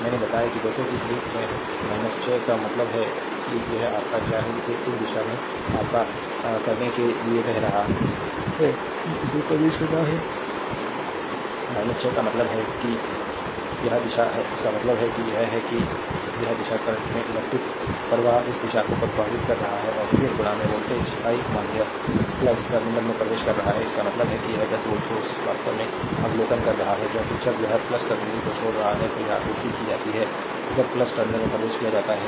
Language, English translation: Hindi, I told you that as i 1 is minus 6 means it is your what you call it is flowing to your in this direction , ah that entering in ah it is minus 6 means it is these direction right; that means, it is these direction current is current is flowing this direction then we entering into the voltage I mean plus terminal; that means, this 10 voltage source actually is observing power, because when it is leaving the plus terminal it is supplied when is entering the plus terminal it is your power observed